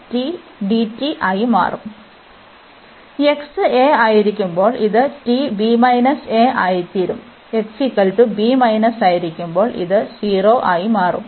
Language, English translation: Malayalam, And then when x is a, so this t will become b minus a, and this when x is b minus, so this will become 0